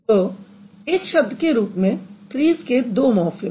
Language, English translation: Hindi, So, you can't call trees as one morphem